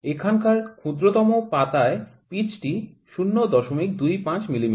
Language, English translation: Bengali, The smallest leaf here has the pitch 0